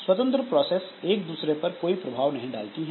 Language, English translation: Hindi, Independent processes cannot affect other processes